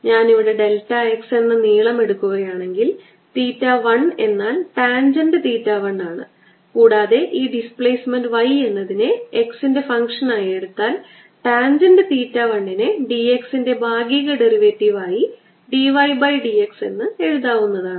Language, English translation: Malayalam, if i take the length here to be delta x, theta one is roughly tangent theta one and if we take this displacement to be y as a, the function of x, this is partial derivative d y by d x